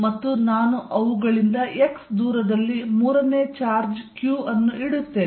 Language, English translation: Kannada, And I put a third charge q at a distance x from them, this is q